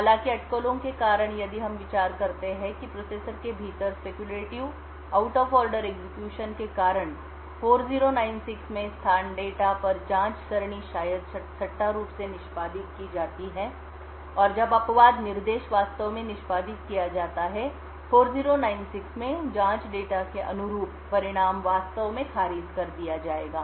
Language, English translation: Hindi, However, due to speculation and if we consider what happens within the processor due to speculative out of order execution, the probe array at the location data into 4096 maybe speculatively executed and when the exception instruction is actually executed the results corresponding to probe array data into 4096 would be actually discarded